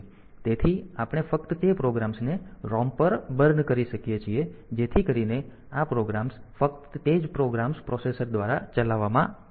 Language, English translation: Gujarati, So, we can just lower we can burn those programs on to the ROM so that, this programs can though only those programs will be executed by the processor